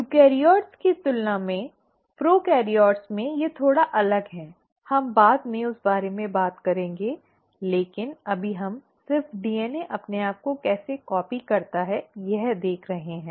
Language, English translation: Hindi, They are slightly different in prokaryotes than in eukaryotes, we will talk about that later, but right now we are just looking at exactly how DNA copies itself